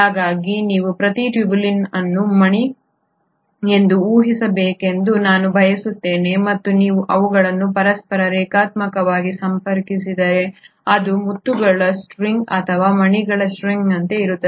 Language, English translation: Kannada, So I want you to imagine each tubulin to be a bead and if you connect them linearly to each other it is like a string of pearls or a string of beads